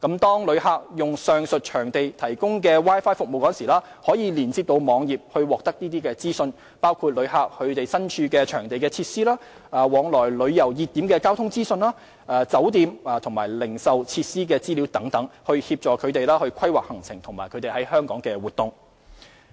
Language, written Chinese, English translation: Cantonese, 當旅客使用上述場地提供的 Wi-Fi 服務時，可連接網頁獲得資訊，包括旅客身處場地的設施、往來旅遊熱點的交通資訊、酒店及零售設施的資料等，以協助旅客規劃行程及在港活動。, Visitors using the Wi - Fi services at the aforementioned venues will be connected to the web page for information on the facilities of the premises where they are visiting transport information on commuting between tourism hot spots hotels and retail facilities with a view to assisting visitors in planning their itinerary and activities in Hong Kong